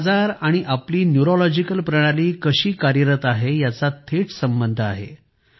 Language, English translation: Marathi, Mental illnesses and how we keep our neurological system are very directly related